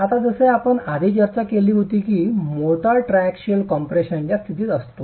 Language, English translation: Marathi, Now, as we had discussed earlier, the motor tends to be in a state of triaxial compression